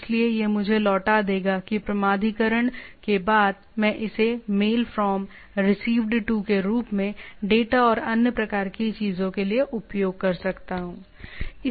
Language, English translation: Hindi, So, it will return me that after authentication I can use this all, right as a MAIL FROM, Received To, putting the data and type of things